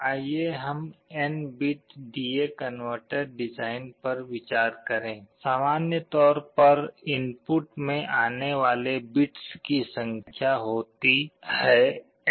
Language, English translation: Hindi, Let us consider the design of an n bit D/A converter; in general there are n number of bits that are coming in the input